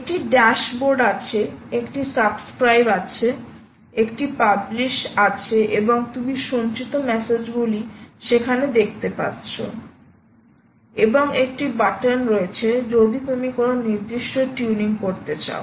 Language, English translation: Bengali, there is a dashboard, there is a subscribe, there is a publish and you can also see stored messages there and there is a simple button for ah any specific tuning that you want to do